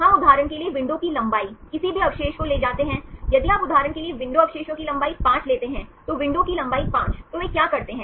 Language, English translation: Hindi, We carry window length for example, any residue if you take a window length of 5 residues for example, window length 5